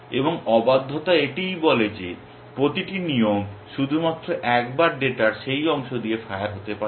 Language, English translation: Bengali, And that is what refractoriness says that every rule can only fire once with that piece of data